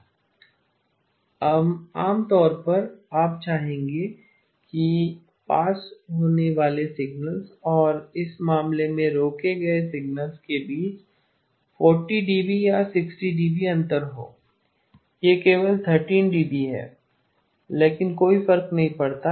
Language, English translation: Hindi, You would typically you would like to have 40 dB or 60 dB difference between the signals that are passed and the signals that are stopped in this case it is only 13 dB, but does not matter